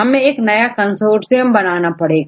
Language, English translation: Hindi, So, then made a new consortium